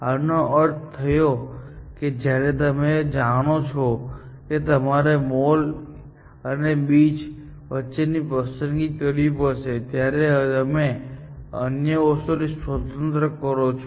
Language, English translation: Gujarati, This means that when you know that you have to choose between mall and beach, you do this independent of the other things